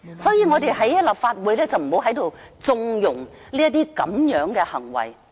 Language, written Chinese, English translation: Cantonese, 所以，我們不要在立法會縱容這樣的行為。, Therefore let us not connive at such behaviour in the Legislative Council